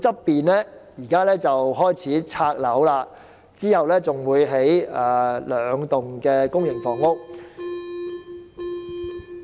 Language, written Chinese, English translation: Cantonese, 現時，陶窯附近開始清拆建築物，之後會興建兩幢公營房屋。, Currently the demolition of buildings in the vicinity of the kiln has commenced whereas the construction of two blocks of public housing will be carried out later